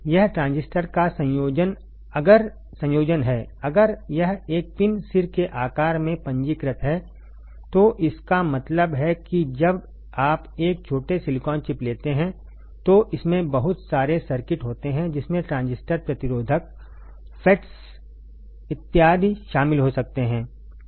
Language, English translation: Hindi, It has combination of transistors if it is registered in a pin head size, so that means, that when you take a small [sink/silicon] silicon chip, it has lot of circuits that can include transistors, resistors, FETs right and so on and so forth